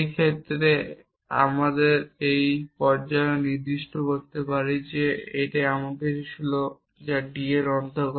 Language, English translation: Bengali, But in this case we can also specify at this stage that it something which belongs to D